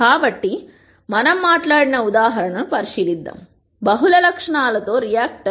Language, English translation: Telugu, So, let us consider the example that we talked about; the reactor with multi ple attributes